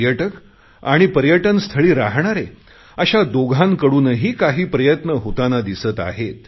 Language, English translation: Marathi, Both tourists and local residents of these places are contributing to it